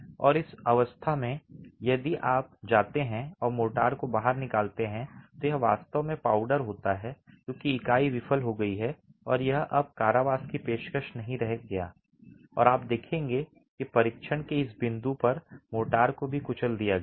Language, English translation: Hindi, And in this state if you go and pull out the motor, it's actually powder because the unit has failed and it's not offering any more confinement and you will see that the motor is also crushed at this point of the test itself